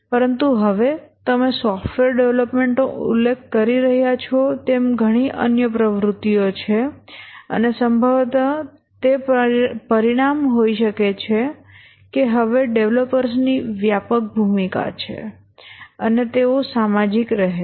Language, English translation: Gujarati, That was the major activity but now as you are mentioning software development has many other activities and possibly that may be the result that the developers have a broader role now and they have to be social